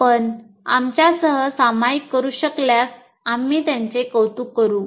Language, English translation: Marathi, And if you can share with us, we'll appreciate that